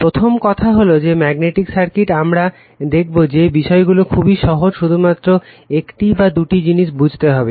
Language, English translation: Bengali, First thing is that magnetic circuit we will find things are very simple, only one or two things we have to understand